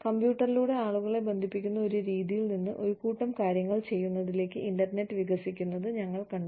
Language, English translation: Malayalam, And, we have seen the internet, evolve from a method of connecting people, over the computer to, doing a whole bunch of things